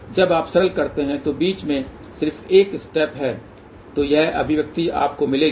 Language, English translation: Hindi, So, just one step in between, you simplify this is the expression you will get